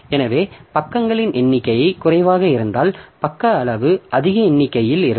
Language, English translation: Tamil, So, even if number of pages are low, so the page size is high, number of pages are low